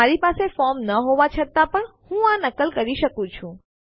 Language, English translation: Gujarati, Even though I dont have a form , I can still mimic this